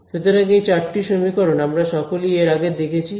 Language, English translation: Bengali, So, these four equations, we have all seen before